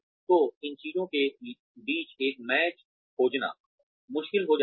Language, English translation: Hindi, So, finding a match between these things, becomes difficult